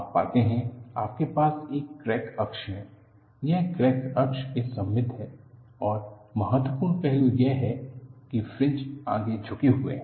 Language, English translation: Hindi, You know, you have a crack axis; it is symmetrical about the crack axis and the significant aspect is, where the fringes are forward tilted